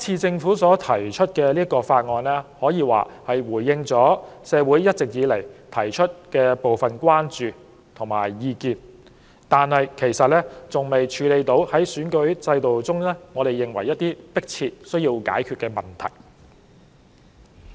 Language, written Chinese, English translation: Cantonese, 政府提出《條例草案》，雖可謂回應了社會一直提出的部分關注和意見，但仍未能處理選舉制度中一些我們認為迫切、有需要解決的問題。, While by introducing the Bill the Government has somewhat responded to part of the concerns and views long voiced by the community some of the issues in relation to the electoral system which we find urgent and in need of resolution still remain unresolved